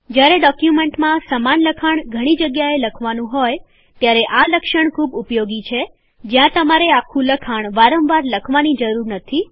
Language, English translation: Gujarati, This feature is very useful while writing a large amount of similar text in documents, where you dont need to write the entire text repeatedly